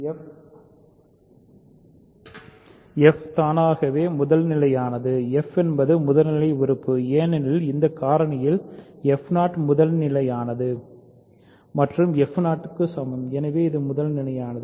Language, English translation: Tamil, So, f is automatically primitive; f is primitive right, because f 0 is primitive in this factorization f 0 is primitive and f is equal to f 0 so, it is primitive